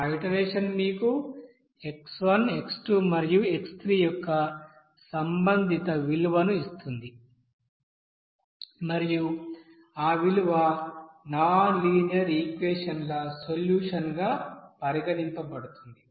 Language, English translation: Telugu, And that you know iteration will give you the corresponding value of x, x and x and those value will be you know treated as the solution of that set of nonlinear equation